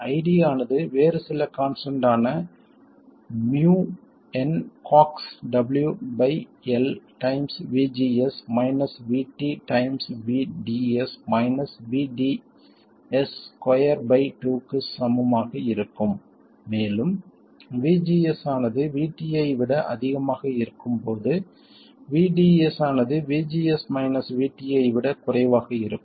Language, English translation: Tamil, ID is equal to some other constant Mion Cioxx W by L times VGS minus VT times VDS minus VDS squared by 2 and this is when VGS is more than VT and the drain source voltage VDS is less than VGS minus VT